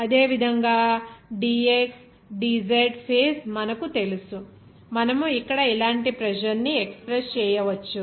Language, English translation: Telugu, Similarly, you know that dxdz front or face, you can express the pressure like this here